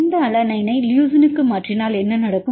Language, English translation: Tamil, If we mutate this alanine to leucine what will happen